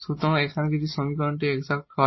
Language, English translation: Bengali, So, the given equation is exact